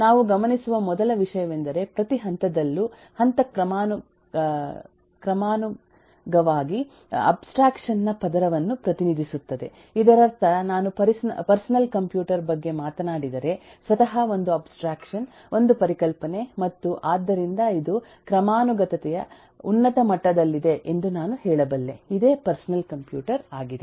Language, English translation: Kannada, first thing we observe is: each level of hierarchy represents a layer of abstraction, which you mean is, if I talk about eh, a personal computer itself is an abstraction, is a concept, and so I can say that the at this is at the top level of hierarchy